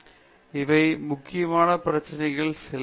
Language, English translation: Tamil, So, these are some of the important issues